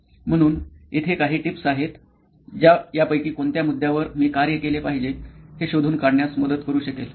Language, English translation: Marathi, So, these are some tips that can help you in figuring out which of these problems should I work on